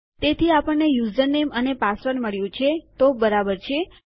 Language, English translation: Gujarati, So because we have got username and password then thats fine